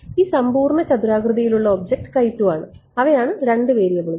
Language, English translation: Malayalam, And this entire square object is x 2 those are the two variables